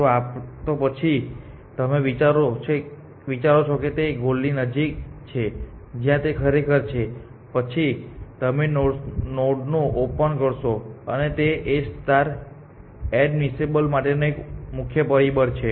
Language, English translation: Gujarati, So, in generally if you think it is closer to the goal where it actually is then you are liked to explore that node and that is a key factor for A star being admissible